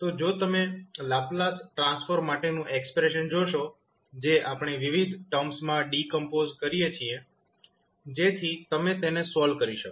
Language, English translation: Gujarati, So, if you see the expression for Laplace Transform, which we decompose into various terms, so that you can solve it